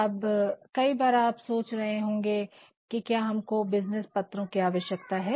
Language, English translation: Hindi, Now, you might at times be thinking that do we really need to write letters